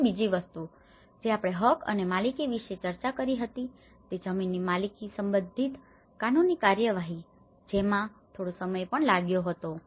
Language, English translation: Gujarati, And the other thing we did discuss about the tenure and the ownership the legal procedures regarding the land ownership which also took some time